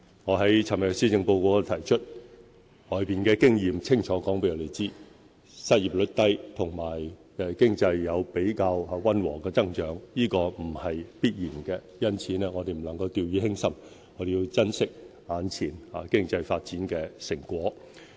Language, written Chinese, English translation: Cantonese, 我昨天在施政報告中提到，外圍的經驗清楚告訴我們，失業率低和經濟有比較溫和的增長，並不是必然的，因此我們不能夠掉以輕心，要珍惜眼前經濟發展的成果。, When I delivered the Policy Address yesterday I mentioned that experience around the world clearly shows that economic growth and a low unemployment rate cannot be taken for granted . Thus we cannot be negligent but should cherish the present results of our economic development